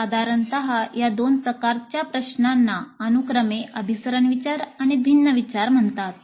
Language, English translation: Marathi, And generally these two types of questions are being called as convergent thinking and divergent thinking respectively